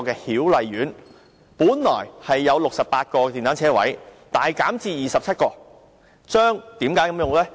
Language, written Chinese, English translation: Cantonese, 曉麗苑本來有68個電單車車位，現時大減至27個，為何這樣做呢？, Hiu Lai Court originally had 68 motorcycle parking spaces and the number has now been substantially reduced to 27 . Why did Link REIT do it?